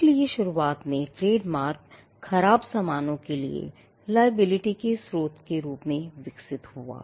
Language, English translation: Hindi, So, initially trademarks evolved as a source of attributing liability for bad goods